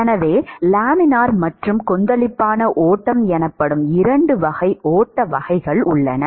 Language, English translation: Tamil, So, there are two classes of flow types called a Laminar and Turbulent flow